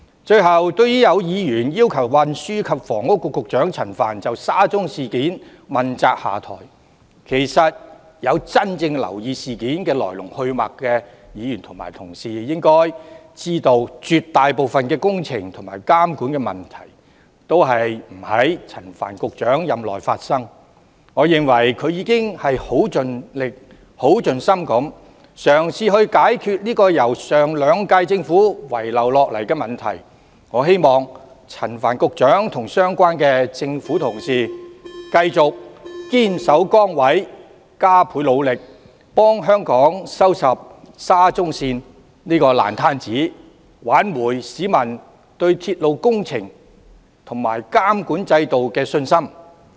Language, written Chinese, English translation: Cantonese, 最後，對於有議員要求運輸及房屋局局長陳帆就沙中線事件問責下台，其實有真正留意事件來龍去脈的議員應知道，絕大部分工程和監管的問題都不在陳帆局長任內發生，我認為局長已盡心盡力地嘗試解決由上兩屆政府遺留下來的問題，我希望陳帆局長和相關的政府官員繼續堅守崗位、加倍努力，為香港收拾沙中線這個爛攤子，挽回市民對鐵路工程及監管制度的信心。, Lastly regarding some Members request for Secretary for Transport and Housing Frank CHAN to take the blame and step down for the SCL incident Members who have really paid attention to the ins and outs of the incident should know that most of the works and monitoring problems did not arise during the tenure of Secretary Frank CHAN . In my view the Secretary has made his best efforts to resolve the problems left behind by the Government of the last two terms . I hope Secretary Frank CHAN and the relevant government officials will remain steadfast in their posts and strive with greater efforts to straighten out this mess of SCL for Hong Kong thereby restoring public confidence in railway projects and the monitoring system